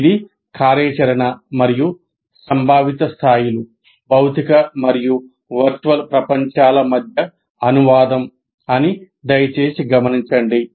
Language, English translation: Telugu, Please note that it is operational as well as conceptual levels translating between the physical and virtual world